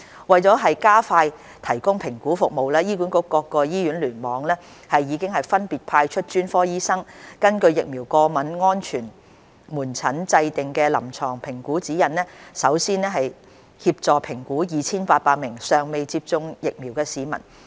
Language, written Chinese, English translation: Cantonese, 為加快提供評估服務，醫管局各醫院聯網已分別派出專科醫生，根據疫苗過敏安全門診制訂的臨床評估指引，首先協助評估約 2,800 名尚未接種疫苗的市民。, To expedite the assessment service various clusters under HA have respectively deployed specialist doctors to help first assess the some 2 800 persons who have not yet been vaccinated with reference to the VASCs clinical assessment guidelines